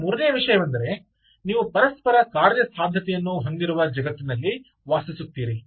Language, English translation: Kannada, the third thing is: you are bound to live in a world where there has to be interoperability